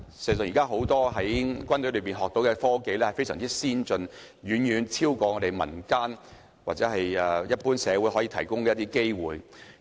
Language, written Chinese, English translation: Cantonese, 現時，很多軍隊讓軍人學到非常先進的科技，這種機會勝過民間或社會可以提供的機會。, Today military personnel can learn about very advanced technology in the military and such an opportunity is not available in civil society or community